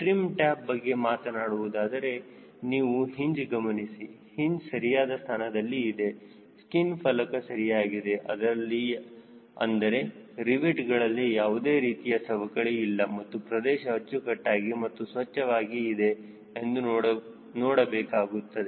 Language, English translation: Kannada, coming to the trim tab, check the hinge: whether the hinges are in place, the skin panel is ok, there is no sharing of the rivets and the surfaces are neat and clean